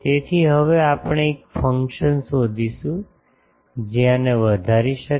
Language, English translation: Gujarati, So, we can now we have to find a function that which can maximise this